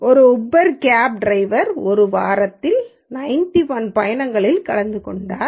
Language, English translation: Tamil, An Uber cab driver has attended 91 trips in a week